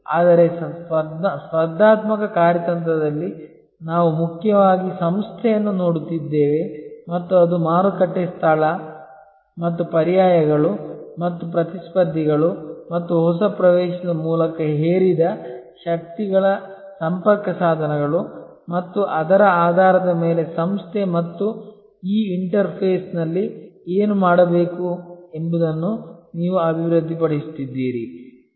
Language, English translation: Kannada, But, in competitive strategy we are mainly looking at the organization and it is interfaces with the market place and the forces imposed by substitutes and by competitors and by new entrance and based on that you are developing what to do at this interface between the organization and the market